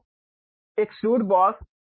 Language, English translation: Hindi, So, Extrude Boss